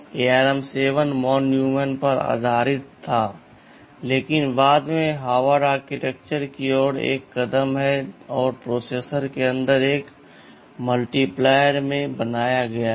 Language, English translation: Hindi, Architecture as it said ARM 7 was based on von Neumann this is v von Neumann, but subsequently there is a move towards Harvard Architectures and inside the processor there is a built in multiplier